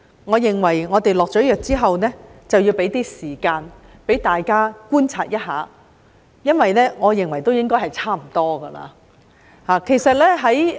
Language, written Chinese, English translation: Cantonese, 我認為我們下藥之後，要給予大家一些時間觀察，因為我認為應該已差不多了。, In my view after we have prescribed the remedy we should allow some time for observation since I think it is almost suffice